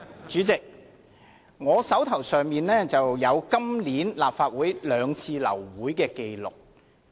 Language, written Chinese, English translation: Cantonese, 主席，我手邊有一份關於今年立法會兩次流會的紀錄。, President I have in hand a record of the two aborted Council meetings of this year